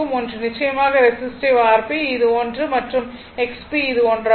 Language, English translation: Tamil, One is of course, is fairly resistive R P is equal to this one and X P is equal to this one